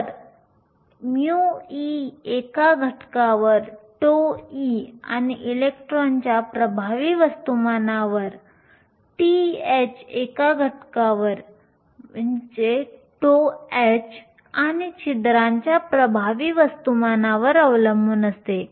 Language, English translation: Marathi, So, mu e depends upon a factor, tau e and the effective mass of the electron, mu h depends on a factor, tau h and the effective mass of the holes